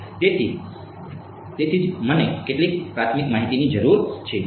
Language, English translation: Gujarati, So, that is why I need some a priori information